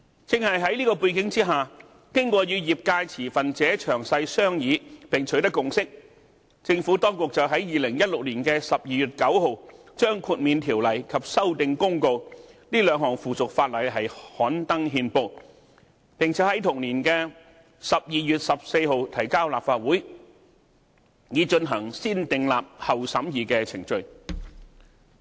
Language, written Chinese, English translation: Cantonese, 在這背景下，經過與業界持份者詳細商議並取得共識，政府當局在2016年12月9日把《豁免規例》及《修訂公告》這兩項附屬法例刊登憲報，並在同年12月14日提交立法會，以進行"先訂立，後審議"的程序。, Against this background after thorough consultation with industry stakeholders and forging a consensus with the industry the Administration gazetted the Exemption Regulation and the Amendment Notice on 9 December 2016 and tabled them before this Council at the meeting of 14 December for negative vetting